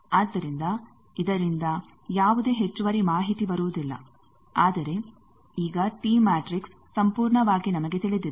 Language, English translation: Kannada, So, no extra information coming from this, but we know now T matrix completely